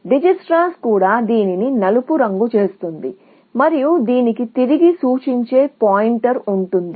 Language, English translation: Telugu, The Dijikistra also would color it black, and there would be a pointer pointing back to this